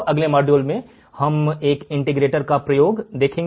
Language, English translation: Hindi, In the next module, let us see the application of an integrator